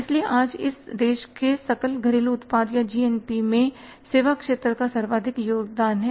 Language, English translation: Hindi, Today the services sector is the highest contributor in the GDP or GNP of this country